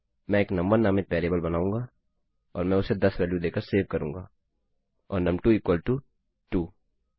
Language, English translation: Hindi, Ill create a variable called num1 and Ill save that as value equal to 10 and num2 is equal to 2